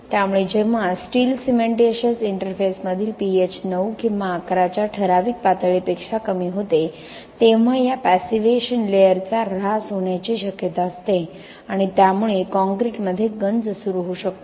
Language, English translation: Marathi, So when the pH at the steel cementitious interface reduced below certain level of 9 or 11, so there is possibility of depletion of this passivation layer and due to that the corrosion can initiate in the concrete